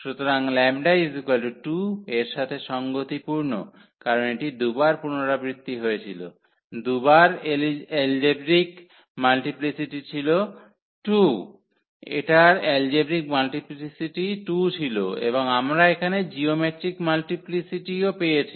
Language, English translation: Bengali, So, corresponding to those lambda is equal to 2 because it was repeated this 2 times the algebraic multiplicity was 2, this algebraic multiplicity of this was 2 and we also got now the geometric multiplicity